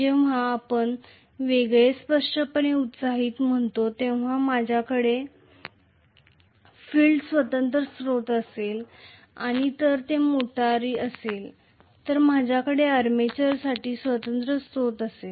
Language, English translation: Marathi, When we say separately excited very clearly, I am going to have a separate source for the field and if it is a motor I will have a separate source for the armature